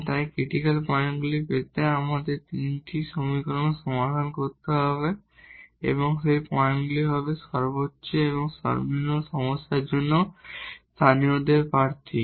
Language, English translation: Bengali, So now, we have to solve these 3 equations to get the points to get the critical points and those points will be the candidates for the local for the maximum or the minimum of the problem